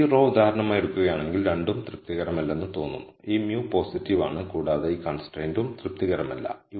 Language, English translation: Malayalam, So, if you take this row for example, it looks like both this mu being positive is not satisfied and this constraint is also not satisfied